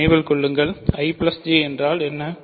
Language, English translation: Tamil, So, remember again what is I plus J